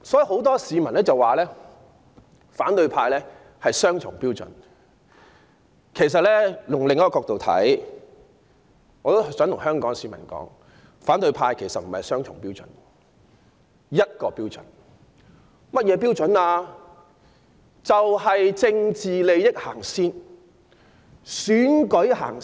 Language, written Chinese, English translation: Cantonese, 很多市民指責反對派雙重標準，但從另一角度看，我很想告訴香港市民，他們其實不是雙重標準，而是只有一個標準，那是甚麼呢？, Many people criticize those from the opposition camp for adopting double standard but from another perspective I would very much like to tell Hong Kong people that instead of adopting double standard they in fact have only one criterion and what is it?